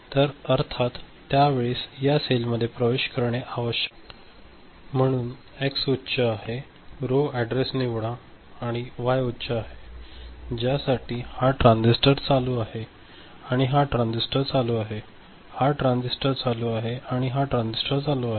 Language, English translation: Marathi, So, at that time of course, this cell need to be accessed, so X is high, so row address select and Y is high, so for which this transistor is ON and this transistor is ON, this transistor is ON and this transistor is ON, is it ok